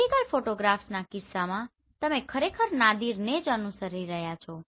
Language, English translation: Gujarati, In case of vertical photograph, you are actually following the Nadir right